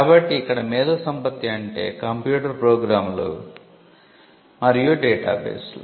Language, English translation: Telugu, So, intellectual creations refer to both computer programs and data bases